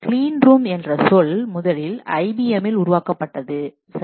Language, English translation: Tamil, The term clean room was first coined at IBM